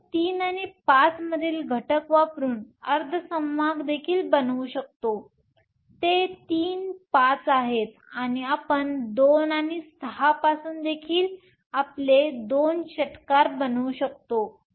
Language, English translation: Marathi, You can also form semiconductors by using elements from 3 and 5, those are your three fives, and you can also from 2 and 6 those are your two sixes